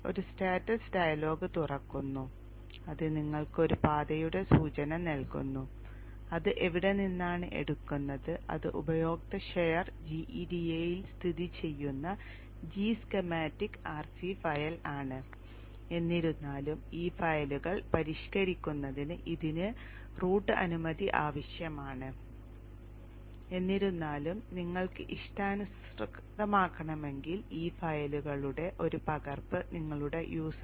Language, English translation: Malayalam, There is a status dialogue which opens, which just gives you an indication of the paths which from where it takes this is the G schematic RC file G GFC file where it is located is located in user share GEDA however these are in the this need route permission to modify these files however if you want to, you need to have a copy of these files in your user